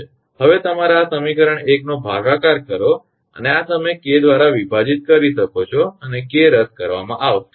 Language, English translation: Gujarati, Now, divide you equation 1 this equation and this you can divide K and K will be cancelled